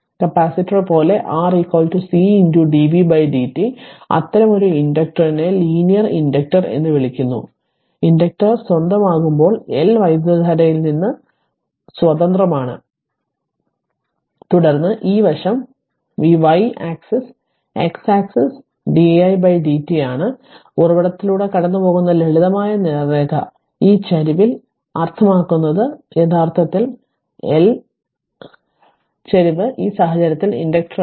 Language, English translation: Malayalam, Like capacitor also how we saw R is equal to C into dv by dt such an inductor is known as linear inductor right, when inductor is independent the L is independent of the current then this side is v y axis x axis is di by dt and simple straight line passing through the origin and this is the slope that L slope is actually in this case inductor